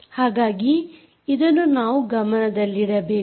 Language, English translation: Kannada, so you have to keep that in mind